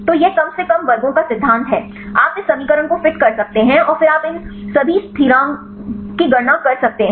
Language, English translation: Hindi, So, this is the principle of least squares you can fit this equation then you can calculate all these constants